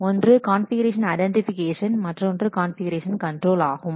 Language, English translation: Tamil, One, configuration identification, then two configuration control